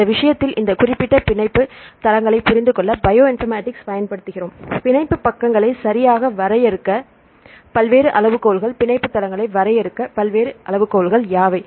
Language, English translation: Tamil, So, in this case we use Bioinformatics to understand this specific binding sites right now various criteria to define the binding sides right what are the various criteria to define the binding sites